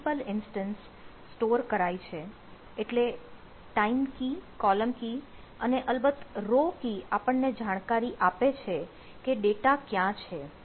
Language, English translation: Gujarati, so there is a time key, column key and ah, of course say row key, which says that where the data is there